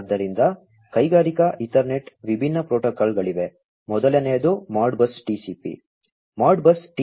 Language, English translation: Kannada, So, for the industrial Ethernet there are different protocols that are there, number one is the Modbus TCP